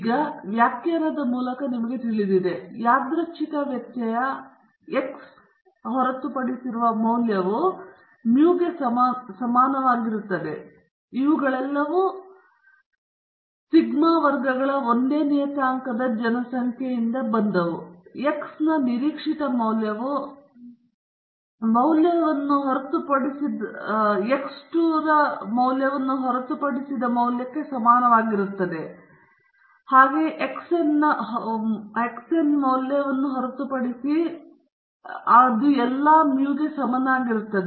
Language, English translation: Kannada, Now, we know by definition, the excepted value of the random variable x is equal to mu, and since all of these have come from population of the same parameter mu and sigma squared, expected value of x 1 will be equal to excepted value of x 2 so on to excepted value of x n, and they will all be equal to mu